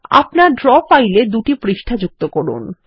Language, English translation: Bengali, Add two pages to your draw file